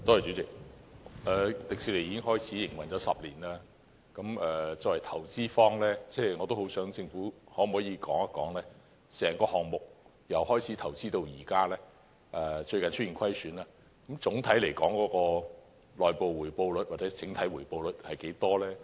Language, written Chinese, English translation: Cantonese, 主席，迪士尼已經營運了10年，政府作為投資一方可否告訴本會從開始進行投資，直至最近出現虧損，整個項目的內部或整體回報率為何？, President Disneyland has been in operation for 10 years . As an investor could the Government tell this Council the internal or overall rate of return of the entire project from the time the investment was first made until losses have incurred recently?